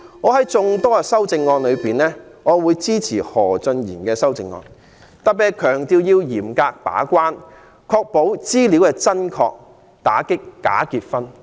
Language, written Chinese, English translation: Cantonese, 在眾多修正案中，我會支持何俊賢議員的修正案，特別是強調要嚴格把關，確保申請資料真確，打擊假結婚。, Among the amendments I will support the one raised by Mr Steven HO as it stresses stringent gatekeeping ensuring correct and accurate application information and combating bogus marriages